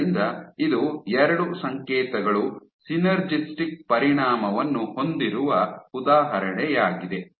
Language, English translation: Kannada, So, this is an example where two signals had a synergistic effect